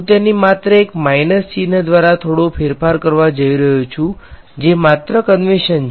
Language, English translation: Gujarati, I am going to change that just a little bit by a minus sign that is just the convention